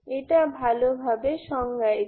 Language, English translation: Bengali, This is well defined